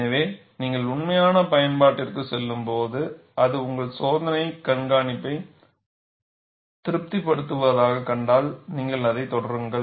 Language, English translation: Tamil, So, when you go to actual application, if you find it satisfies your experimental observation, you carry on with it